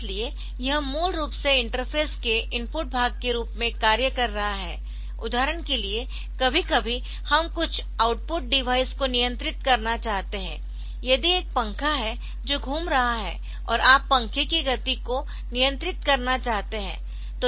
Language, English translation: Hindi, So, that is basically acting as the input part of the input part of the interface, sometimes we want to control some output device for example, if there is a fan that is rotating and you want to control the speed of fan